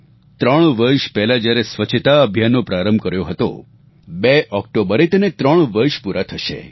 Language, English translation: Gujarati, The campaign for Cleanliness which was initiated three years ago will be marking its third anniversary on the 2nd of October